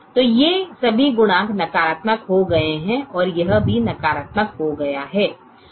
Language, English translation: Hindi, so all these coefficients have become negative, and this also has become negative